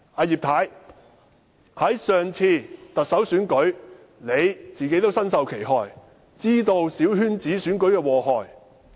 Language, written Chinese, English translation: Cantonese, 葉太在上次特首選舉中也身受其害，知道小圈子選舉的禍害。, Mrs IP who also suffered in the previous Chief Executive Election should be aware of the harms of coterie elections